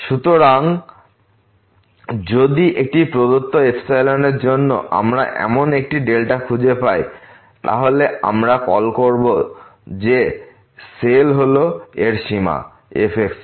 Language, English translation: Bengali, So, if for a given epsilon, we can find such a delta, then we will call that the cell is the limit of